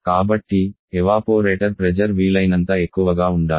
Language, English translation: Telugu, So, the evaporator pressure should be as highest possible